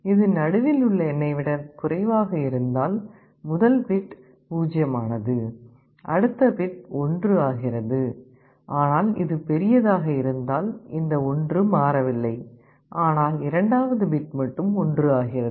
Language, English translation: Tamil, If it is less than this 1 is made 0 and the next bit is made 1, but if it is the other way round this 1 remains 1, I do not change, but the second bit only I am making 1